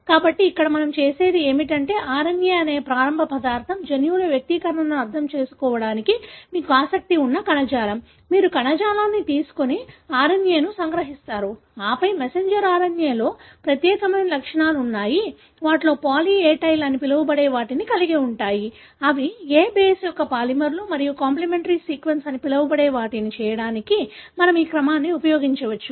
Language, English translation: Telugu, So, here what we do is, starting material is RNA obviously, whichever tissue that you are interested in understanding expressions of genes, you take the tissue, extract the RNA and then, the messenger RNAs have unique properties that is they have, most of them have what is called poly A tail, which are polymers of A base and then we can use this sequence to make what is called as a complimentary sequence